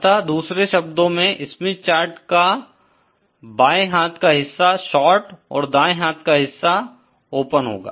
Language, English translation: Hindi, So, in other words, the left hand portion of this Smith chart corresponds to a short and the right hand portion corresponds to an open